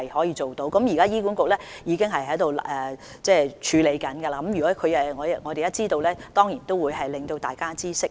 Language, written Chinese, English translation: Cantonese, 現時醫管局已經正在處理，如果我們知道有關詳情，當然會讓大家知悉。, HA is currently undertaking such work and if we have the details we will certainly let Members know